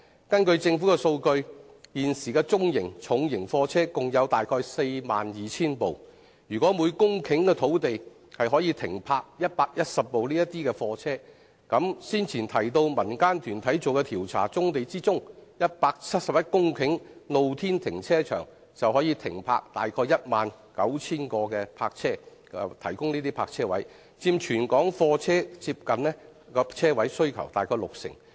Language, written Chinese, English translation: Cantonese, 根據政府的數據，現時的中型和重型貨車共有約 42,000 輛，如果每公頃土地可以停泊110輛貨車，那麼先前提及的民間團體調查所指、用作露天停車場的171公頃棕地，便可以提供約 19,000 個泊車位，佔全港貨車泊車位接近六成。, According to government statistics there are altogether some 42 000 medium and heavy goods vehicles at present . If each hectare of land can accommodate up to 110 goods vehicles then the 171 hectares of brownfield sites used as open - air parking lots as referred to in the community groups survey mentioned earlier can provide about 19 000 parking spaces which account for nearly 60 % of all goods vehicle parking spaces in Hong Kong